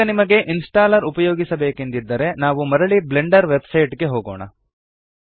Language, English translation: Kannada, Now if you want to use the installer, lets go back to the Blender Website